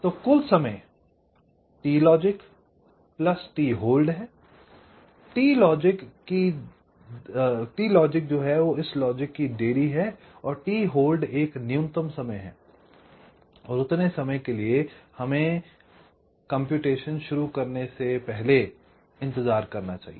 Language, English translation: Hindi, ok, t logic is the delay of this logic and t hold is a minimum time we should wait before we should, ah, start the calculation